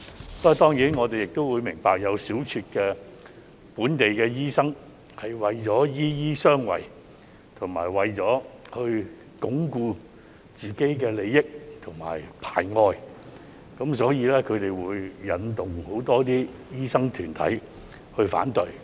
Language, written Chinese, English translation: Cantonese, 不過，當然我們明白會有小撮的本地醫生為了"醫醫相衞"，為了鞏固自身的利益和排外，會引導很多醫生團體去反對。, I believe it will also be welcome by the general public in Hong Kong . Nevertheless we certainly understand that a small group of local doctors will instigate opposition from many doctors groups in order to protect their own interests and exclude others